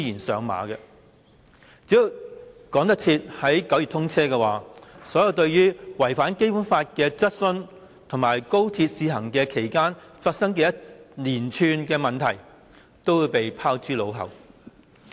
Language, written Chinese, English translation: Cantonese, 只要趕得及在9月通車，所有對違反《基本法》的質詢，以及在高鐵試行期間發生的一連串問題，均會被拋諸腦後。, As long as the Express Rail Link XRL can be commissioned in time by September all the questions relating to the breaching of the Basic Law as well as a host of problems which have occurred during the XRLs test - run will be forgotten